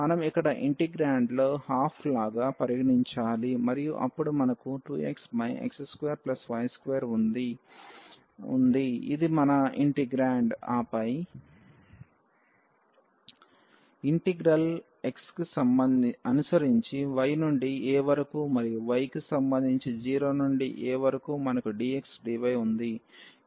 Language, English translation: Telugu, We should consider here like 1 by 2 in the integrand and then we have 2 x over this x square plus y square this is our integrand; and then we have the integral here with respect to x from y to a and with respect to y from 0 to a we have dx dy